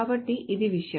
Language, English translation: Telugu, So it's the thing